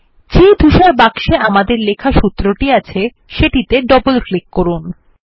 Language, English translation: Bengali, Double click on the Gray box that has the formulae we wrote